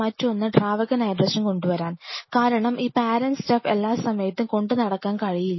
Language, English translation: Malayalam, The other one as to bring the liquid nitrogen, because he cannot carry this parent stuff every time